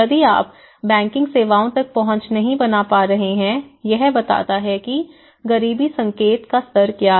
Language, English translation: Hindi, So, the moment if you are not access to the banking services that itself tells you know, what is the level of the poverty indication